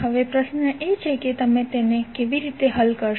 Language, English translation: Gujarati, Now, the question is that how to solve it